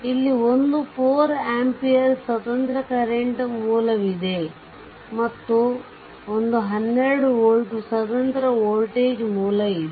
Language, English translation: Kannada, And one independent current source is there this is 4 ampere and one independent voltage source is there that is 12 volt right